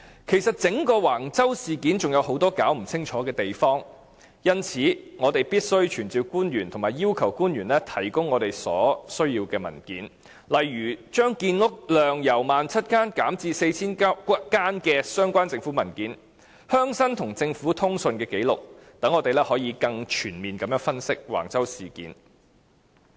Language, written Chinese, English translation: Cantonese, 其實，整個橫洲事件仍有很多尚未弄清楚的地方，因此我們必須傳召官員及要求官員提供我們所需要的文件，例如將建屋量由 17,000 個單位減至 4,000 個單位的相關政府文件、鄉紳與政府的通訊紀錄，讓我們可以更全面地分析橫洲事件。, In fact many aspects of the Wang Chau incident have remained unclear . That is why we must summon government officials and request them to provide the documents we needed for example government documents on the decision to reduce housing production from 17 000 units to 4 000 units and the record of communications between the rural leaders and government officials so that we can make a comprehensive analysis of the Wang Chau incident